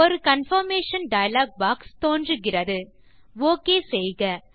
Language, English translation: Tamil, A confirmation dialog box appears.Click OK